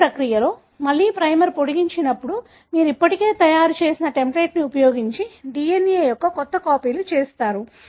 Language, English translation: Telugu, With this process, when again the primer gets extended you have made new copies of DNA, using the template that were already made